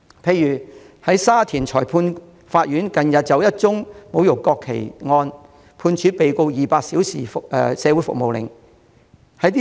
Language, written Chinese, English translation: Cantonese, 例如，沙田裁判法院近日就一宗侮辱國旗案，判處被告200小時社會服務令。, For example the Shatin Magistrates Court recently sentenced a man on one count of desecrating the national flag to 200 hours of community service